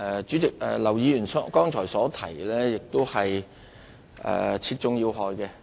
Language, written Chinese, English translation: Cantonese, 主席，劉議員剛才真是說中要害。, President Mr LAU has just hit at the nub of the matter